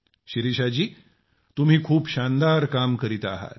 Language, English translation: Marathi, Shirisha ji you are doing a wonderful work